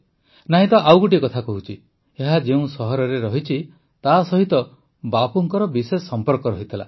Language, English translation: Odia, Let me tell you one more thing here the city in which it is located has a special connection with Bapu